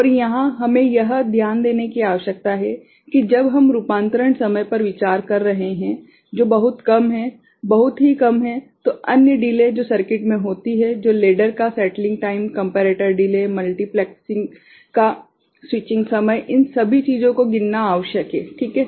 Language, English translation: Hindi, And here we need to take note that when we are considering conversion time which is very small, very short then other delays which are there in the circuit like settling time of ladder, comparator delay, switching time of multiplexer all those things need to be counted ok